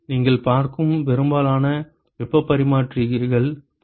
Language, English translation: Tamil, Most of the heat exchangers you will see will be of that configuration